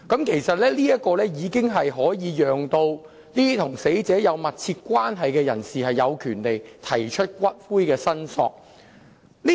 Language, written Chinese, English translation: Cantonese, 其實，這項修正案已可讓與死者有密切關係的人有權提出要求領取骨灰的申索。, In fact under this amendment a person with a close relationship with the deceased will have the right to lodge a claim for the ashes of the deceased